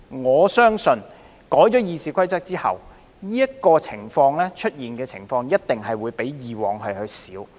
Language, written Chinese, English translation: Cantonese, 我相信在修訂《議事規則》後，這樣的情況一定會比以往較少出現。, I believe that after the amendment of RoP such a situation will definitely arise less frequently than before